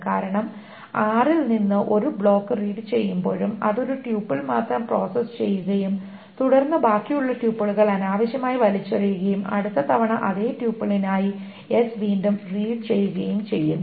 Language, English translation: Malayalam, Because even when a block is read from R it processes only one tuple and then throws away the rest of the tuples and it reads S again for that same tuple the next time